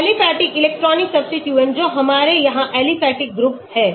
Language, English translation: Hindi, Aliphatic electronic substituents that is we have the aliphatic group here